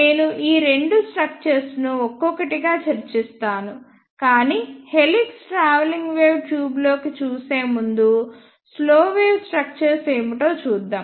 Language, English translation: Telugu, I will discuss these two structures one by one, but before looking into the helix travelling wave tube let us see what are slow wave structures